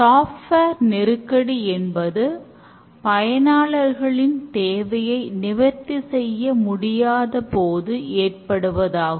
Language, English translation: Tamil, The software crisis, the symptoms are that they fail to meet user requirements